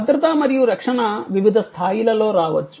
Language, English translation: Telugu, Safety and security can come in at different levels